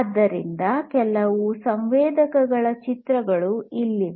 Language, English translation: Kannada, So, here are some pictures of certain sensors